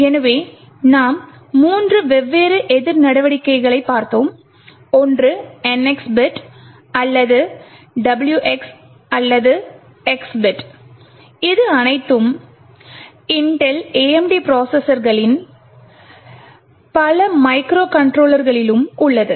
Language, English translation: Tamil, So, in fact we had looked at three different countermeasures one is the NX bit or the WX or X bit which is present in all Intel AMD processors as well as many of the microcontrollers as well